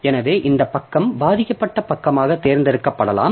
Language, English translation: Tamil, So, that way this page may become selected as a victim page